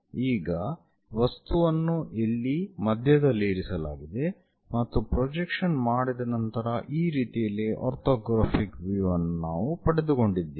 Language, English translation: Kannada, The object somewhere kept at middle and after projections we got something like orthographic views in that way